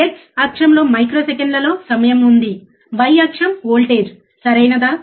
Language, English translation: Telugu, There is a x axis is your time in microseconds, y axis is voltage, right